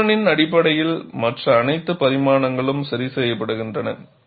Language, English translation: Tamil, Based on the thickness, all other dimensions are fixed